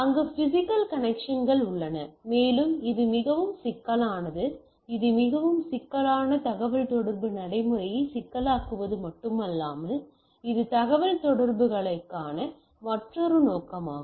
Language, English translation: Tamil, So, there is the physical connections what is there, lot of things goes on and its a very complicated not only complicated its a very complex communication procedure which goes on which is another purview of communication